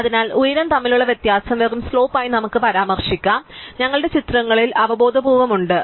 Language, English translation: Malayalam, So, let us refer to the difference between the height as just the slope, so we have a intuitively in our pictures